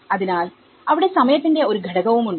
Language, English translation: Malayalam, So, there is also the time factor